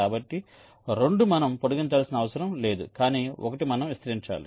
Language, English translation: Telugu, so two, we need not extend, but one we have to extend